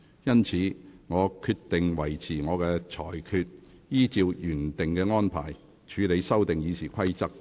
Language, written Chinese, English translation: Cantonese, 因此，我決定維持我的裁決，依照原定安排，處理修訂《議事規則》的議案。, I therefore decided to affirm my ruling and deal with the motions to amend RoP as originally planned